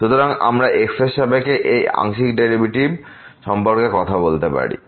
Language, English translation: Bengali, So, we can talk about this partial derivative with respect to